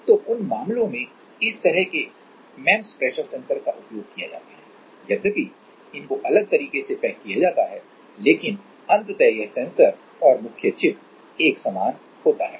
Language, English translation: Hindi, So, in those cases this kind of MEMS pressure sensors are used though packaged in different way, but the ultimately the sensor or the main chip is same